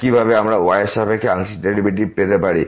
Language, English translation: Bengali, Same we can do to get the partial derivative with respect to